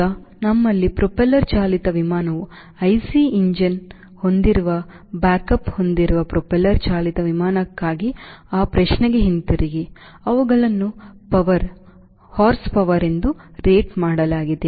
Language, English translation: Kannada, now, coming back to that question, for a propeller driven aircraft, like we have propeller driven aircraft with i c engine, back up they are rated as power, horsepower, right, what is that